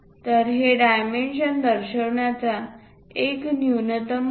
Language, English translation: Marathi, So, this is the minimalistic way of representing this dimension